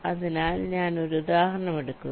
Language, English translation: Malayalam, so i am taking an example